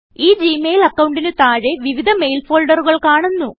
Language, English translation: Malayalam, Under this Gmail account, various mail folders are displayed